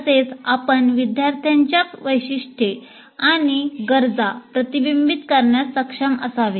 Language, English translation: Marathi, And he should also, should be able to reflect on students' characteristics and needs